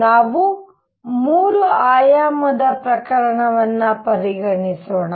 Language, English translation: Kannada, Next going to consider is 3 dimensional case